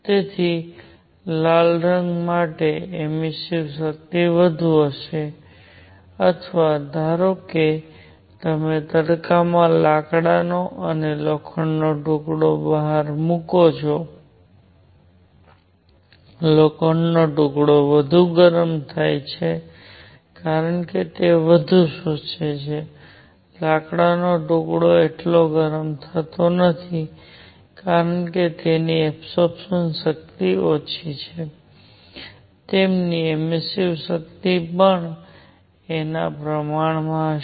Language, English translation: Gujarati, So, emissive power for red color would be more or suppose you put a piece of wood and iron outside in the sun, the iron piece becomes hotter because it absorbs more, wood piece does not get that hot because absorption power is low; their emissive power will also be proportional to that a